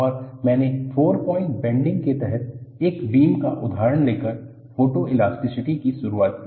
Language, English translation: Hindi, And, I introduced Photoelasticity by taking an example of a beam under four point bending